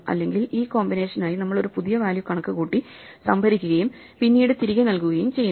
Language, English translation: Malayalam, Otherwise, we compute a new value for this combination, store it and then return it